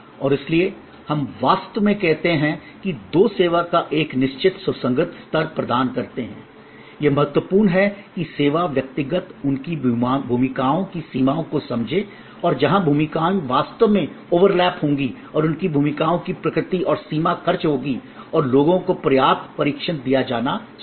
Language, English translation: Hindi, And therefore, we actually say that two deliver a certain consistent level of service it is important that the service personal understand their roles and the boundaries of their roles and where the roles will actually overlap and the boundary spending nature of their roles and there will be some scripts and there should be enough training provided to people